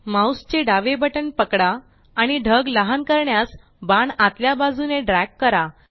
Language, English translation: Marathi, Now, hold the left mouse button and drag the arrow inward to make the cloud smaller